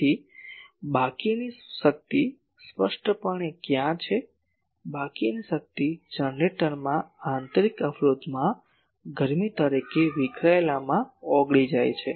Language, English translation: Gujarati, So, where is the remaining power obviously, the remaining power is dissipated in the dissipated as heat, in the internal resistance of the generator